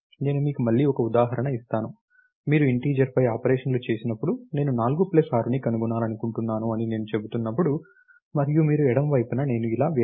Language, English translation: Telugu, Let me give you an example again, when you look at when you perform the operations on integer, when I am saying that I want find the sum of 4 plus 6, and you write on the left hand side, I write a variable like this